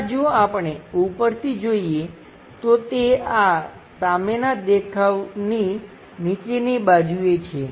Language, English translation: Gujarati, In that if, we are looking from top it goes to bottom side of this front view